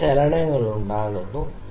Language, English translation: Malayalam, It is making some movement here